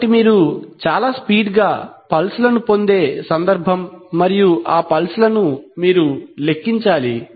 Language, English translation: Telugu, So this is the case where you get very fast pulses and one has to count those pulses